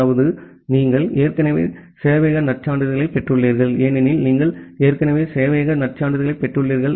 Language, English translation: Tamil, That means, you already have received the server credentials, because you already have received the server credentials